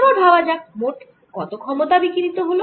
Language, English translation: Bengali, how about the total power radiated